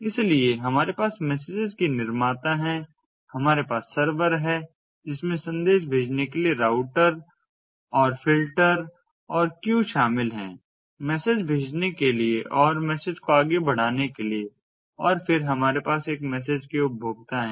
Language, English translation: Hindi, so we have the producers of the messages, we have the server, which comprises of routers and ah filters and queues for forwarding the message, for for queuing and for buffering and forwarding the messages, and then we have the consumers of the message